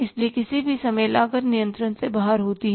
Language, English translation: Hindi, So, if at any point of time the cost is going out of control, right